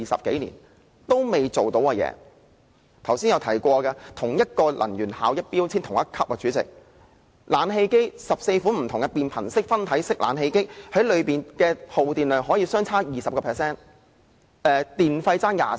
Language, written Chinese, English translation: Cantonese, 正如剛才有議員提及，同一級能源標籤的14款變頻分體式冷氣機，耗電量可相差 20%， 電費更相差 24%。, As a Member indicated just now for 14 models of split - type inverter air conditioners bearing the same grade of energy label electricity consumption could vary by 20 % and electricity tariff could even vary by 24 %